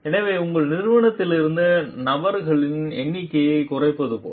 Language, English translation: Tamil, So, like reducing a number of persons from your organization